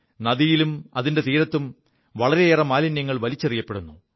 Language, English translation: Malayalam, A lot of garbage was being dumped into the river and along its banks